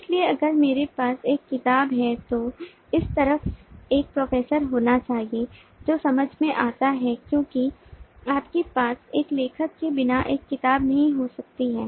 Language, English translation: Hindi, so if i have a book, it must have a professor on this side, which is understandable because you cannot have a book without an author